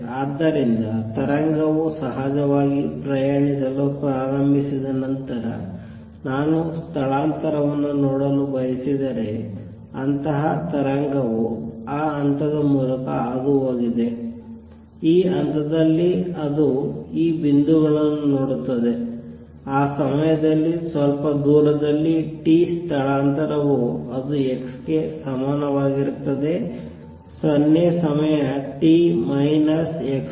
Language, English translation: Kannada, So, if I want to see displacement after the wave has started travelling of course, t is such wave has passed through that point this point it look at this points some distance away at time t is the displacement would be what it was at x equal to 0 time t minus x over v